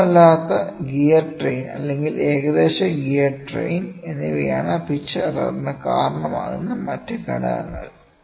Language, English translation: Malayalam, Other factors contributing to the pitch error are an inaccurate gear train or an approximate gear train